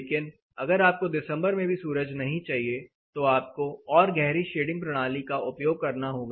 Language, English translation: Hindi, But if you further want this to be cut off even during December then you need a deeper shading system